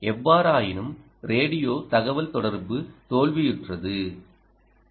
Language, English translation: Tamil, however, radio communication was unsuccessful